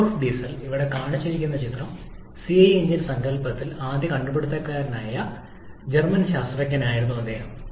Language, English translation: Malayalam, Rudolf Diesel, the picture shown here, he was the German scientist was the first inventor of the CI engine concept